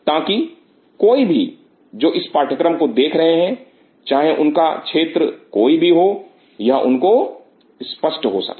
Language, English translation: Hindi, So, that anybody who is the viewer of this course, what is ever field they are, it should be tangible to them